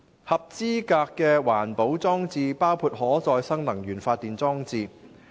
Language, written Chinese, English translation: Cantonese, 合資格的環保裝置包括可再生能源發電裝置。, Eligible EP installations include renewable energy power generation REPG installations